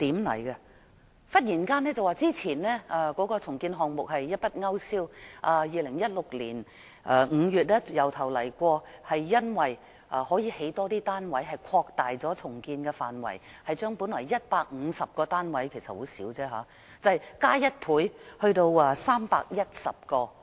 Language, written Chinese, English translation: Cantonese, 市建局忽然把之前提出的重建項目一筆勾消，在2016年5月從頭開始，擴大重建範圍，因為可興建更多單位，把本來150個單位——其實也是很少——增加1倍，達310個。, But suddenly URA withdrew the redevelopment proposal altogether and put forward a new one in May 2016 with an extended redevelopment area . The reason is that the number of housing units to be built will double from 150 to 310